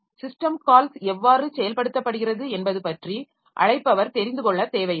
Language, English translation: Tamil, So, the caller need not know anything about how the system call is implemented